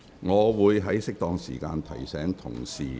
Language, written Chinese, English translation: Cantonese, 我會在適當時間提醒議員。, I will give Members timely reminders